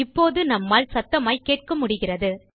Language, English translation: Tamil, Now we can hear it louder